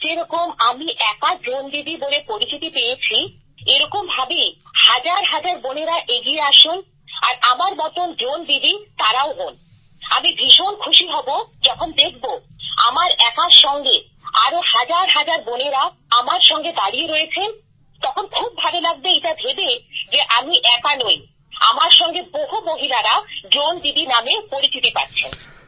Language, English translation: Bengali, Just like today I am the only Drone Didi, thousands of such sisters should come forward to become Drone Didi like me and I will be very happy that when I am alone, thousands of other people will stand with me… it will feel very good that we're not alone… many people are with me known as Drone Didis